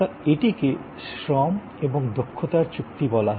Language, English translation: Bengali, So, that is what we called labor and expertise contract